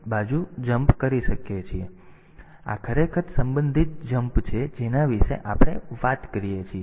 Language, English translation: Gujarati, So, these; so, these are actually the relative jumps that we talk about